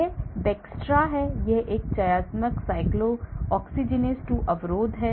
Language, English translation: Hindi, this is Bextra, this is a selective cyclooxygenase 2 inhibitor